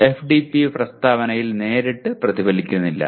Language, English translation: Malayalam, FDP does not directly get reflected in the statement